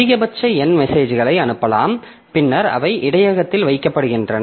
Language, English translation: Tamil, So, at most n messages can be sent and then in the they are kept in the buffer